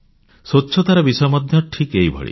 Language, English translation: Odia, Cleanliness is also similar to this